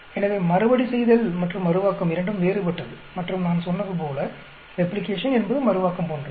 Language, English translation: Tamil, So, both are different Repeatability and Reproducibility, and as I said Replication is the same as Reproducibility